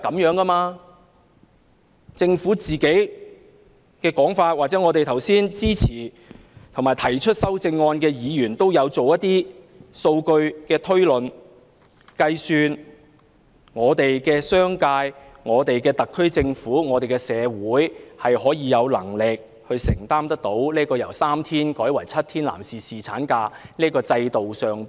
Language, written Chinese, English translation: Cantonese, 剛才支持7天侍產假或提出修正案的議員都有做過一些數據的推論和計算，指出商界、特區政府和社會有能力承擔侍產假由3天增至7天的成本。, Members who support seven days paternity leave and Members who propose amendments have made some cost projections and calculations which indicate that the business sector the SAR Government and the community can bear the cost of extending paternity leave from three days to seven days